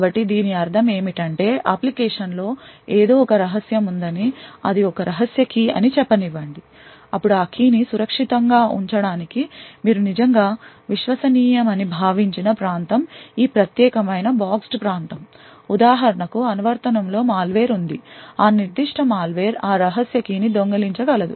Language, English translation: Telugu, So what we mean by this is that if let us say the application has something secret let us say a secret key then this particular boxed area are is the region which you actually assumed to be trusted in order to keep that key secure, for instance if there is a malware in the application then that particular malware could steal that secret key